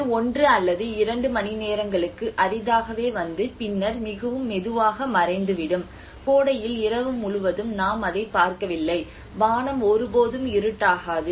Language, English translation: Tamil, It hardly comes for one or two hours and then disappears very gently and in summer we do not see it all the night, the sky never gets darker